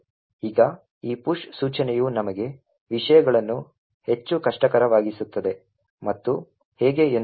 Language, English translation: Kannada, Now this push instruction would make things more difficult for us and let us see how